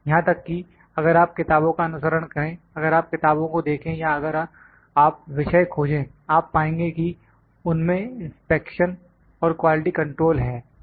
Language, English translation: Hindi, Even if you follow the books, if you see the books or if you find the topic, you will find it has inspection and quality control